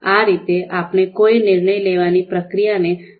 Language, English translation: Gujarati, So this is how we can define a decision making process